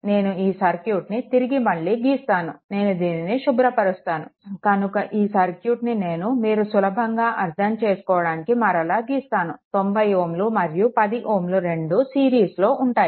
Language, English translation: Telugu, So, if I redraw the circuit let me clear it, if I redraw the circuit see I mean just for your understanding; so, 90 ohm and 10 ohm this two are in series